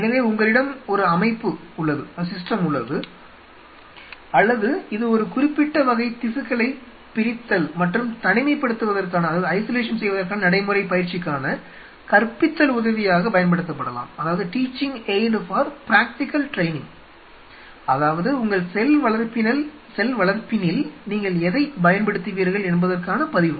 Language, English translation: Tamil, So, you have a system or this could be used as a teaching aid for you know practical training of dissection and isolation of a specific kind of tissue, what you will be using in your culture right